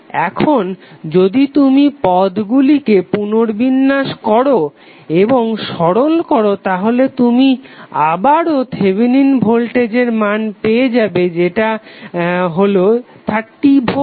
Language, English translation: Bengali, Now if you rearrange the terms and simplify it you will again get the value of Thevenin voltage that is 30V